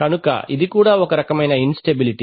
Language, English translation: Telugu, So that is also kind of, so instability